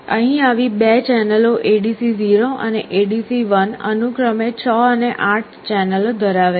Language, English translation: Gujarati, Here there are 2 such channels ADC 0 and ADC1 supporting 6 and 8 channels respectively